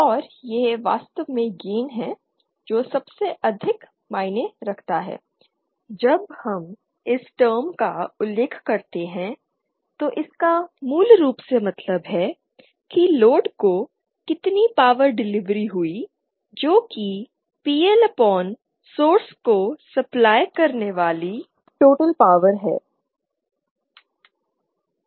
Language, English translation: Hindi, And this is the gain actually that matters the most because see gain when we when we mention the term gain it basically means what is the total power delivered to the load which is PL upon the total power that can be supplied to the source that is what we care for